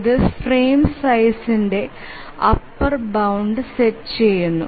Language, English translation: Malayalam, So this sets an upper bound for the frame size